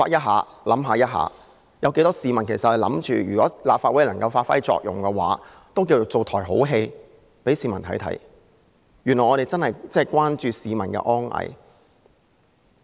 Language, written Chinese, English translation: Cantonese, 許多市民也在想，如果立法會能夠發揮作用，也算是為市民上演了一場好戲，原來議員真的關注市民的安危。, Many members of the public hold that if the Legislative Council can serve its purposes it can be regarded as having staged a good show for the public . It turns out that Members do care about public safety